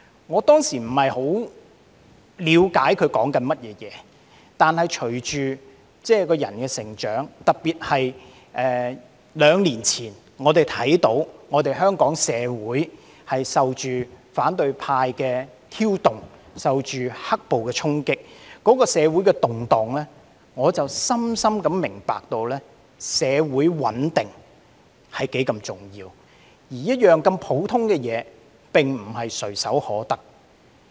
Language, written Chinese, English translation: Cantonese, "我當時不太了解他在說甚麼，但隨着個人的成長，特別在兩年前，我們看到香港社會受到反對派的挑動，受到"黑暴"的衝擊，那時社會的動盪，令我深深明白社會穩定是多麼重要，而這麼普通的一件事情，也並非唾手可得。, Back then I did not quite understand what he was trying to say . But as I attained more personal growth especially as we saw two years ago that Hong Kong society had been instigated by the opposition camp and suffered a blow from the riots the social disturbances back then made me deeply understand how important it is for stability to prevail in society and this even being such an ordinary thing is not easy to come by